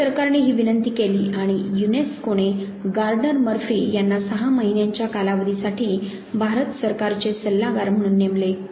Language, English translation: Marathi, Government of India made this request and the UNESCO appointed Gardner Murphy as a consultant to the government of India for a period of 6 months